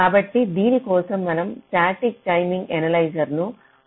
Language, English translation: Telugu, so for this we need to use static timing analyzer as a tool